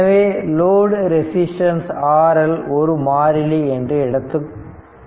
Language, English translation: Tamil, So, we assume that load resistance R L is adjustable that is variable right